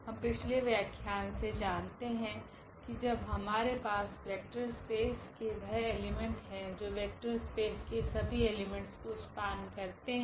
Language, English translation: Hindi, What we know from the previous lecture that once we have the elements in vector space x which span this vector space x